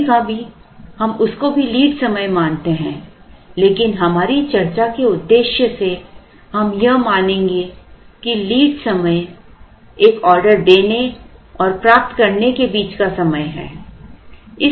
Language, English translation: Hindi, Sometimes we consider all of them as the lead time, but for the purpose of our discussion we would assume that the lead time is the time between placing an order and receiving it